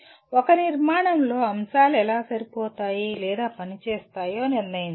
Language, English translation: Telugu, Determine how the elements fit or function within a structure